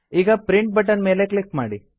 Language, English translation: Kannada, Now click on the Print button